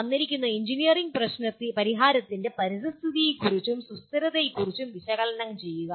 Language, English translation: Malayalam, Analyze the impact of a given engineering solution on environment and sustainability